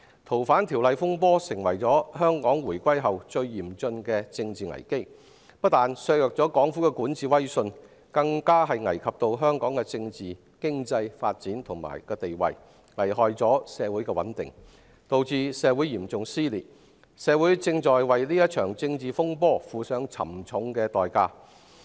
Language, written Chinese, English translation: Cantonese, 修例風波釀成香港回歸後最嚴峻的政治危機，不單削弱了港府的管治威信，更危及香港的政治、經濟發展和定位，損害社會穩定，導致嚴重撕裂，社會正在為這場政治風波付上沉重代價。, The turmoil arising from the proposed legislative amendments has brought about the worst political crisis since the return of Hong Kong to China which has not only weakened the prestige of the Hong Kong government but also endangered Hong Kongs political and economic development and positioning undermined social stability and led to a severe rift in society . Our society is paying a heavy price for this political turmoil